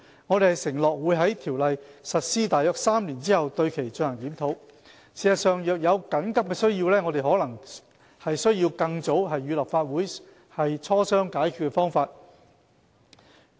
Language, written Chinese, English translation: Cantonese, 我們承諾會在《條例》實施約3年後對其進行檢討。事實上，若有緊急需要，我們可能需要更早與立法會磋商解決方法。, In fact while we have pledged to conduct a review of the Ordinance around three years after implementation we may have to initiate discussions with the Legislative Council at an earlier date if there is an urgent need